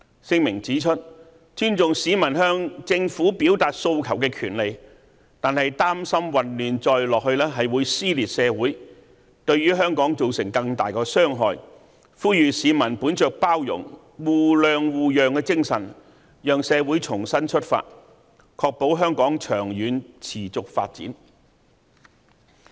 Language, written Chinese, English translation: Cantonese, 聲明指出，尊重市民向政府表達訴求的權利，但擔心混亂再下去會撕裂社會，對香港造成更大的傷害，呼籲市民本着包容、互諒互讓精神，讓社會重新出發，確保香港長遠持續發展。, We pointed out in the statement that while we respected the peoples right to express their aspirations to the Government we worried that if the chaotic situation persisted social dissension might cause great harm to Hong Kong . We urged members of the public to be more tolerant and accommodating so that Hong Kong could start anew and the long - term and sustainable development of Hong Kong could be ensured